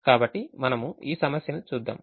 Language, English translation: Telugu, so we look at this problem